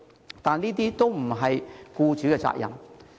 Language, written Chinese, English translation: Cantonese, 然而，這些都不是僱主的責任。, However employers are not to blame for these